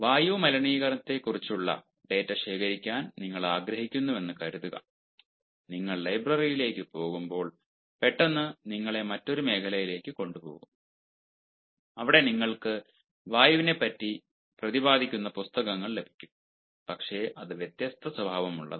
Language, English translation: Malayalam, suppose you want to collect data on air pollution and while you go to the library, suddenly you are taken to a different, you know zone where you get ah books on air, of course, but it is of different nature